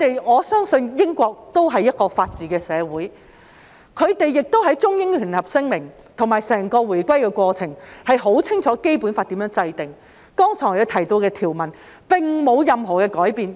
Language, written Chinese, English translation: Cantonese, 我相信英國是一個法治社會，而在《中英聯合聲明》及整個回歸過程中，他們清楚知道《基本法》如何制定，剛才提到的條文並沒有改變。, I believe UK is a society of the rule of law . In the Sino - British Joint Declaration and the entire reunification process they know full well how the Basic Law was formulated and the provisions mentioned just now have not changed